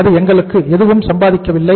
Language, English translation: Tamil, It does not earn anything for us